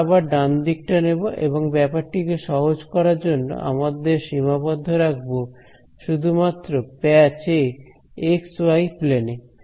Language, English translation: Bengali, So, again we will take the right hand side and to make matters simple, we will just restrict ourselves to patch in the x y plane